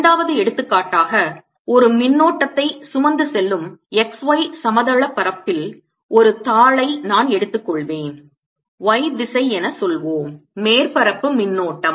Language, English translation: Tamil, as a second example, i will take a heat of charge in the x y plain carrying a current, let's say in the y direction, surface current